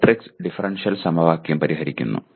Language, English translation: Malayalam, Solving matrix differential equation